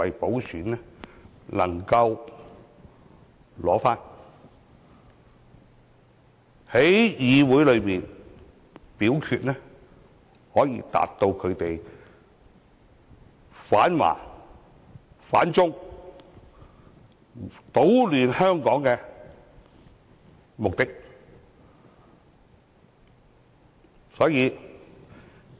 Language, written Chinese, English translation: Cantonese, 同時，在議會內表決時，又可達到他們反華、反中、搗亂香港的目的。, At the same time they can achieve the anti - Chinese and anti - China purposes as well as creating chaos in Hong Kong during the voting in the legislature